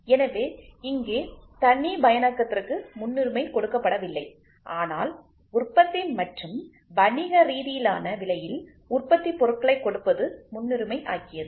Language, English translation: Tamil, So, here customization was not given a priority, but production and giving the product at an economical price was the priority